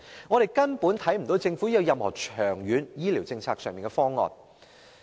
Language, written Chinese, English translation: Cantonese, 政府根本沒有任何長遠醫療政策方案。, The Government has utterly failed to devise any long - term planning on its health care policy